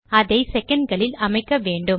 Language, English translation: Tamil, Now this needs to be set in seconds